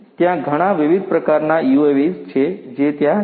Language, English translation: Gujarati, There are so many different types of UAVs that are there